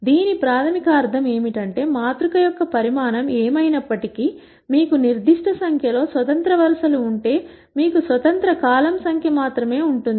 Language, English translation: Telugu, What it basically means is, whatever be the size of the matrix, if you have a certain number of independent rows, you will have only those many numbers of independent columns and so on